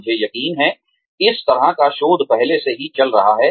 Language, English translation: Hindi, I am sure, this kind of research, is already going on